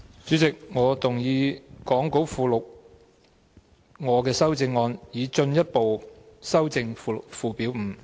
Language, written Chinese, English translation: Cantonese, 主席，我動議講稿附錄我的修正案，以進一步修正附表5。, Chairman I move my amendment to further amend Schedule 5 as set out in the Appendix to the Script